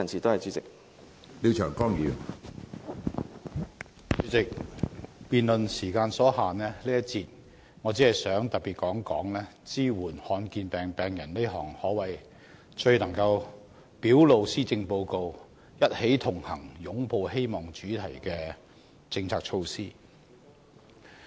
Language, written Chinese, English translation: Cantonese, 主席，由於辯論時間所限，我在這一節只想談一談支援罕見疾病病人這項最能表露施政報告"一起同行、擁抱希望"主題的政策措施。, President given the time constraint of the debate in this session I wish to discuss the policies and measures to support patients with rare diseases which best manifest the theme of the Policy Address We connect for happiness